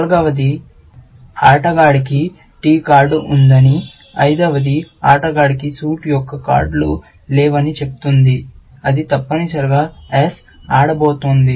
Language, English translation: Telugu, The fourth one says that player has a card of t, and the fifth one says that the player has no cards of the suit, which